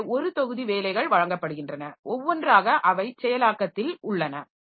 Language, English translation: Tamil, So, a batch of jobs are given and one by one they have processed